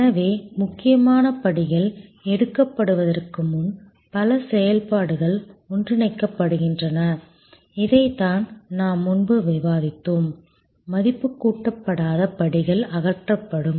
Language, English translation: Tamil, So, number of activities therefore are merged before the critical steps are taken, this is also what we have discussed before, where non value added steps are removed